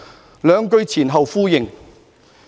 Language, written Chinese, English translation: Cantonese, "這兩句前後呼應。, These two sentences echo each other